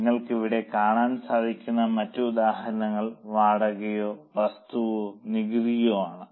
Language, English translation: Malayalam, Other examples as you can see here include rent or property or taxes